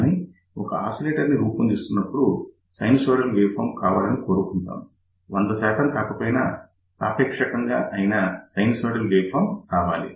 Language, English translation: Telugu, But when we are designing an oscillator, we would like to have a sinusoidal waveform, if not 100 percent pure, relatively pure sinusoidal waveform